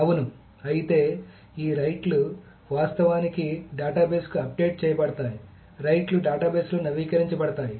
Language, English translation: Telugu, So if it is yes, then rights are actually updated to the database, rights updated in the database